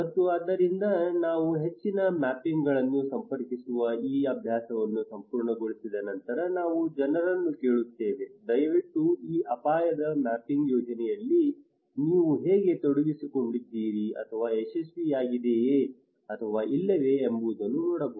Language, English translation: Kannada, And so after we finish this exercise of connecting many more mappings and all we ask people that hey please mark us that what how you involved into this project of risk mapping, was it successful or not